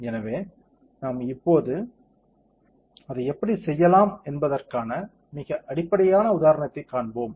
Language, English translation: Tamil, So, we will see a very basic example of how can we do that and now